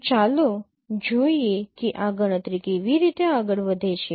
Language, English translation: Gujarati, So let us see how this computation proceeds